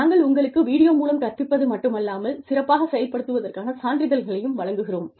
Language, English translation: Tamil, We are not only giving you video courses, we are also giving you certificates, for performing well